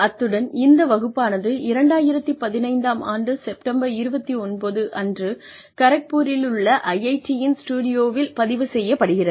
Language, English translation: Tamil, And, this class is being recorded on the, 29th September 2015, in a studio in IIT, Kharagpur